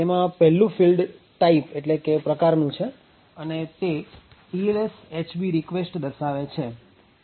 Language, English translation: Gujarati, First, is a type which is a 1 byte which specifies the TLS HB REQURST